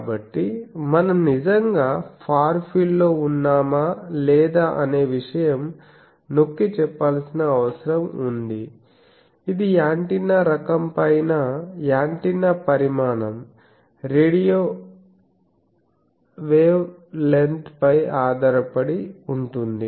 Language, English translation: Telugu, So, that is the thing that whether we are really in the far field or not that needs to be asserted that depends on what is the antenna, which antenna is radiating in size etc